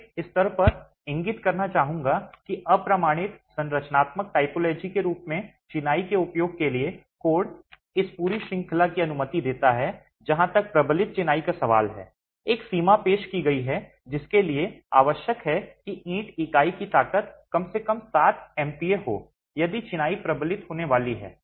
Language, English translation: Hindi, I would like to point out at this stage that while the code for use of masonry as an unreinforced structural typology permits this entire range as far as reinforced masonry is concerned a limit is introduced requiring that the brick unit strength be at least 7 megapascals if the masonry is going to be reinforced